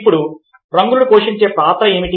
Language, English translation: Telugu, now, what is the role that colours play